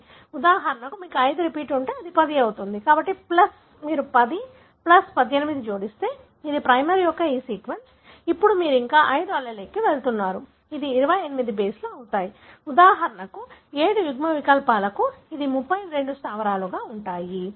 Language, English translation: Telugu, For example, if you have 5 repeat, then it is going to be 10, so plus if you add 10, plus 18, which is this sequence of the primer, now you are going further 5 allele it is going to be 28 bases; for 7 allele for example, it is going to be 32 bases